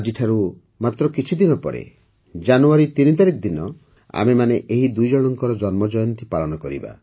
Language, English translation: Odia, Just a few days from now, on January 3, we will all celebrate the birth anniversaries of the two